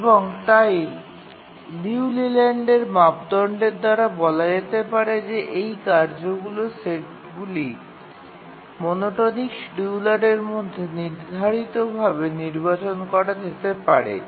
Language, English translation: Bengali, 778 and therefore by the Leland criterion we can say that this task set can be feasibly scheduled in the rate monotonic scheduler